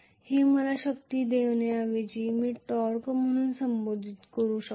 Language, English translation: Marathi, This will give me rather than force I should call this as now torque